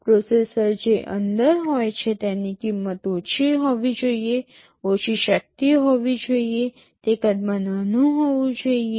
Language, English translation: Gujarati, The processor that is inside has to be low cost it has to be low power, it has to be small in size